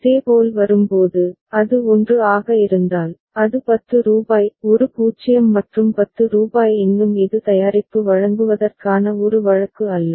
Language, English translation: Tamil, Similarly when it comes, if it is 1 so, it is rupees 10; a 0 and rupees 10 still it is not a case of delivering the product